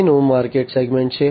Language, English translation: Gujarati, The next is the market segment